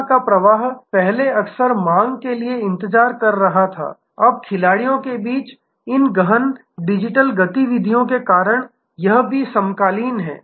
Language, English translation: Hindi, Flow of service was earlier often waiting for demand, now because of these intense digital activity among the players this is also often available activated upon demand